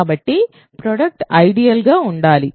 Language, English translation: Telugu, So, the product must be in the ideal